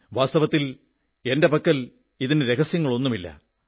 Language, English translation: Malayalam, To tell you the truth, I have no such secret